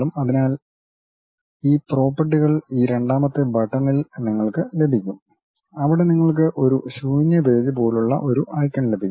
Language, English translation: Malayalam, So, those properties we will get it at this second button where you will have an icon like a blank page